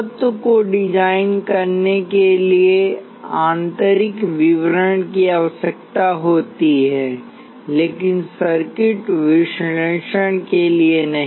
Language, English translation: Hindi, The internal details are required for designing the element, but not for circuit analysis